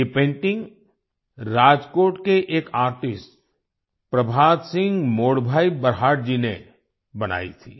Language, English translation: Hindi, This painting had been made by Prabhat Singh Modbhai Barhat, an artist from Rajkot